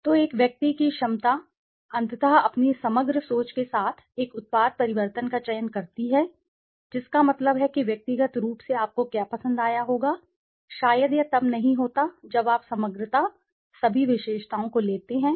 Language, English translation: Hindi, So, the person s a person s ability to finally select a product changes with his total holistic thinking that means what individually you would have liked, maybe it does not happen when you take in totality the entire, all the attributes